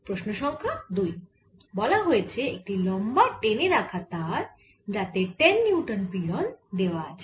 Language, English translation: Bengali, question number two says a long stressed string with tension, ten newtons